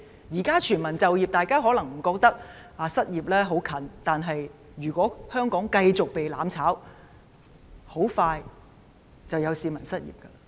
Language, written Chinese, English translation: Cantonese, 現在全民就業，大家可能不覺得失業的問題很近，但如果香港繼續被"攬炒"，很快便會有市民失業。, We have full employment now and Members may not feel that the unemployment problem is pressing . But if Hong Kong continued to be made a sacrifice there would be people losing their jobs very soon